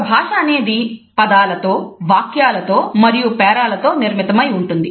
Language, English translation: Telugu, A language is made up of words, sentences and paragraphs